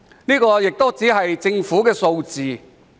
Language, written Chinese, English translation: Cantonese, 然而，這只是政府的數字。, However this is only the figure released by the Government